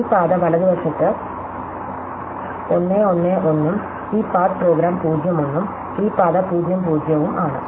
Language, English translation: Malayalam, So, this path is 1 1 1 on the right for example and this path for example the 0 1 and this path is 0 0 0